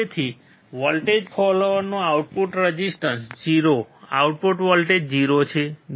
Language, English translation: Gujarati, So, output resistance of a voltage follower is 0